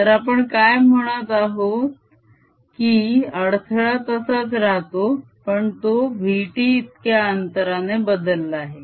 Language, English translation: Marathi, so what we are saying is that the disturbance remain the same as has shifted by distance, v, t